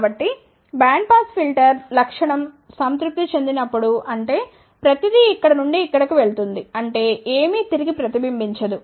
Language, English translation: Telugu, So, when bandpass filter characteristic is satisfied ; that means, everything is going from here to here ; that means, nothing is reflected back